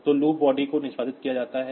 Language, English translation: Hindi, So, loop body is executed